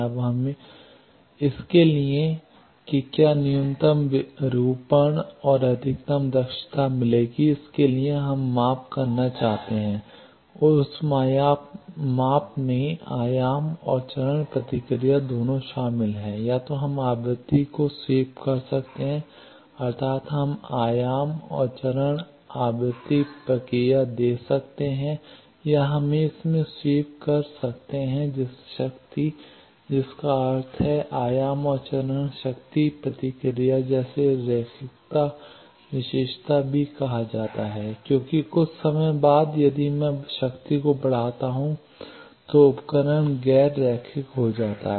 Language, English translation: Hindi, Now, for that whether minimum distortion and maximum efficiency will be attended for that we want to measure and that measurement consist of both amplitude and phase response either we can sweep frequency that means, we can give amplitude and phase frequency response or we can sweep in power that means, amplitude and phase power response which is also called linearity characteristic because after sometime If I go on increasing the power the device becomes non linear